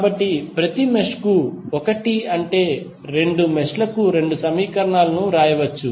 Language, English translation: Telugu, So, we can write two equations for both of the meshes one for each mesh